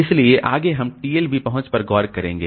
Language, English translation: Hindi, So, next we will look into the TLB reach